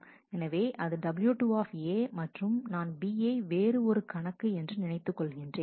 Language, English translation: Tamil, So, that is w 2 A and then I assume that B is some other account